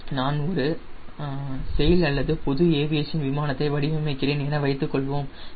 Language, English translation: Tamil, you see, suppose i am designing a sail or let say general aviation, right